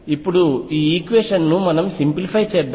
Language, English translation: Telugu, Let us now simplify this equation